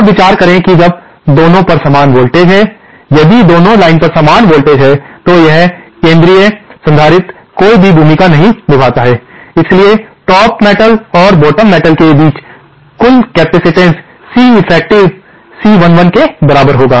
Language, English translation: Hindi, Now, consider that when the voltages on both are the same, if the voltages on both the lines are same, then this central capacitor does not play any role, so the total capacitance between the top metal on the bottom metal is simply Ceffective is equal to C 11